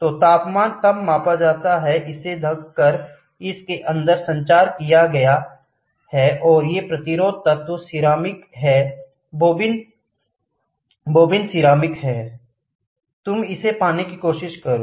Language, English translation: Hindi, So, the temperature is measured then, this is push this is communicated inside and there is a resistance element, these are resistance element ceramic bobbin you try to get it